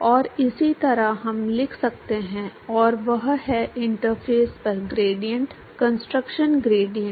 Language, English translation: Hindi, And similarly, we could write and that is the gradient concentration gradient at the interface